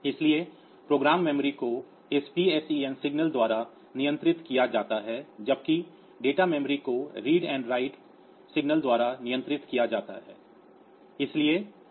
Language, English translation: Hindi, So, the program memory is controlled by this PSEN signal PSEN signal whereas, the data memory is controlled by a read and write signal